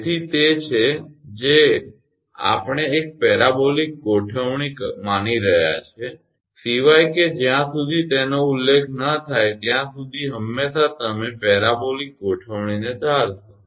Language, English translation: Gujarati, So, it is we are assuming a parabolic configure, unless and until it is mentioned you always assume parabolic configuration